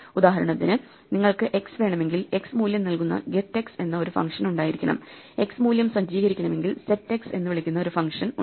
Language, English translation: Malayalam, For instance if you want x there should be a function called get x which gives you the x value, there is function called set x which sets the x value